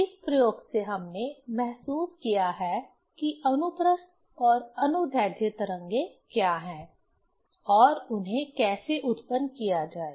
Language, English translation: Hindi, From this experiment we have realized that what are the transverse and longitudinal waves and how to produce them